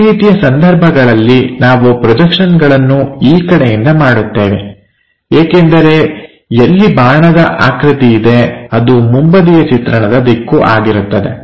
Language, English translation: Kannada, If that is the case can, we draw these projections from this side because our terminologies wherever the arrow is there that is the direction for the front view, this is the first thing